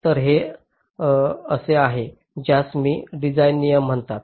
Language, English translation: Marathi, so it is something which i have called design rules